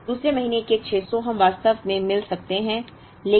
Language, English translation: Hindi, So, the 2nd month’s 600, we can actually meet